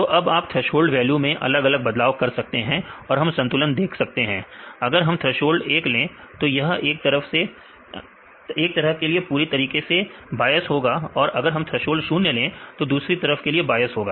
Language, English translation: Hindi, So, now you can varying threshold value; we can see a balance; if we see a threshold 1 is completely biased in one side or the threshold 0 other side